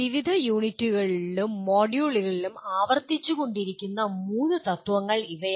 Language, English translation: Malayalam, These are the three principles which may keep repeating in various units and modules